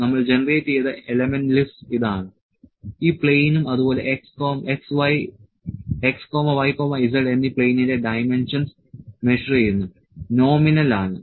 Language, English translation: Malayalam, So, this is the element list we have generated, this plane and the dimensions of the plane X Y and Z measured nominal